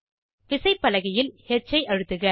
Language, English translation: Tamil, Press H on the keyboard